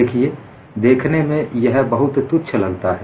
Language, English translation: Hindi, See, it may appear trivial